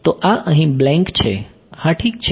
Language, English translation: Gujarati, So, this is a blank over here yeah ok